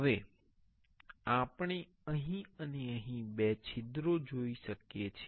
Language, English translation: Gujarati, Now, we want two holes here and here